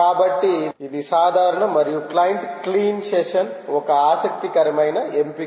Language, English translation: Telugu, so it generalize and its say: client clean session is an interesting option